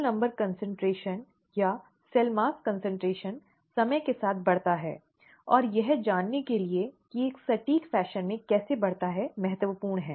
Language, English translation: Hindi, Cell number concentration or cell mass concentration increases with time and to know how it increases in a precise fashion is important